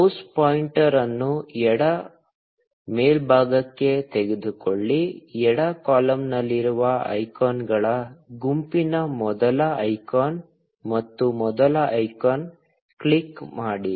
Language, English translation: Kannada, Take the mouse pointer to the left top, the first icon in the bunch of icons in the left column, and click on the first icon